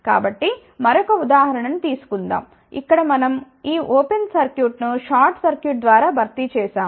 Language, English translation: Telugu, So, let just take another example, where we have simply replace this open circuit by short circuit